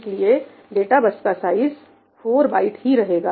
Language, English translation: Hindi, So, data bus size will still remain to be 4 bytes